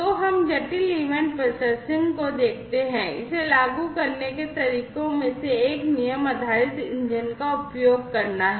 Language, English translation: Hindi, So, let us look at the complex event processing, one of the ways to implement it is using rule based engine